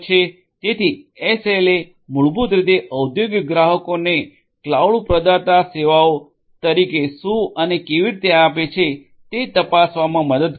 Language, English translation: Gujarati, So, SLAs basically help the industrial clients to check what and how the cloud provider gives as services